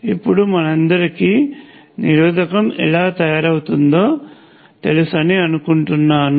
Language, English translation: Telugu, Now, I think again all of you know how a resistor is made